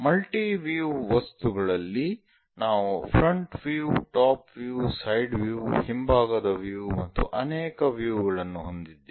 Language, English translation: Kannada, In multi view objects we have different views like front, top, side, perhaps from backside and many views available